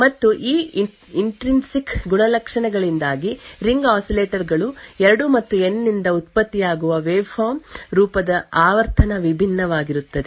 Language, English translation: Kannada, And because of these intrinsic properties the frequency of the waveform generated by the ring oscillators 2 and N would be different